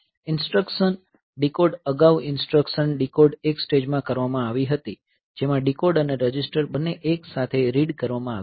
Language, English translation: Gujarati, So, instruction decode previously the instruction decode was done in one stage consists doing both decode and register read together